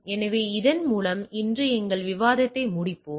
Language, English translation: Tamil, So, with this let us conclude our discussion today